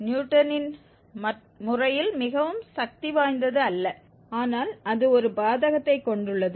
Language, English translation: Tamil, Not that in the Newton's method is very powerful but it has a disadvantage